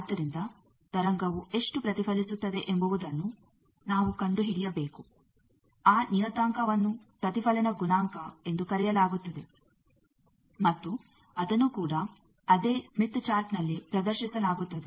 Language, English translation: Kannada, So, we need to find out how much wave got reflected that parameter is called Reflection Coefficient that also is displayed on the same smith chart